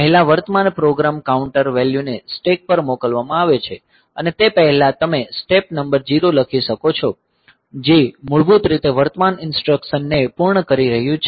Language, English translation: Gujarati, So, first the current program counter value is pushed on to stack and before that you can write down step number 0 which is basically finishing the current instruction